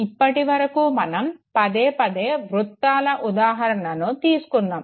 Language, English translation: Telugu, Now till now we were repeatedly taking examples of circles